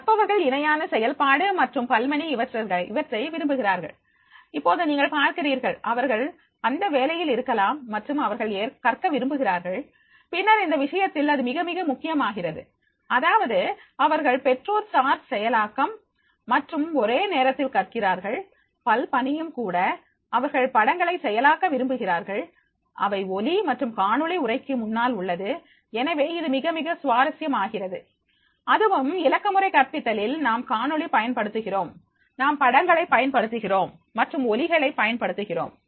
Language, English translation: Tamil, ) The learners they prefer parallel processing and multitasking, now you see that they are, they may be on the job and they want to learn and then in that case, it becomes very, very important that is, they are making the parent processing and simultaneously they are learning the multitask also, they prefer processing pictures, it sounds and video before text is there, so therefore it becomes very, very interesting that there, in the digital pedagogy we are using the videos, we are using the pictures and we are using the sounds